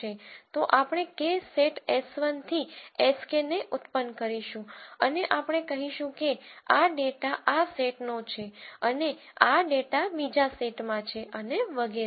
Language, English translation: Gujarati, So, we will generate K sets s 1 to s k and we will say this data belongs to this set and this data belongs to the other set and so on